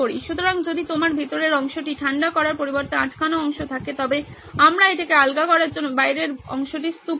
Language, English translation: Bengali, So if you have a stuck part rather than cooling the inner part we heap the outer part to loosen it out